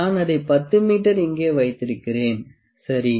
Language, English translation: Tamil, I have just put it here 10 meters, ok